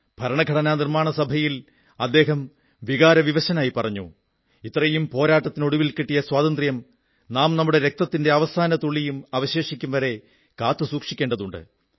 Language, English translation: Malayalam, He had made a very moving appeal in the Constituent Assembly that we have to safeguard our hard fought democracy till the last drop of our blood